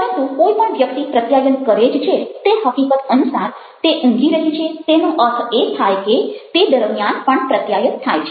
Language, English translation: Gujarati, but the very fact that somebody manages to communicate, that she is sleeping, means that communication still works over here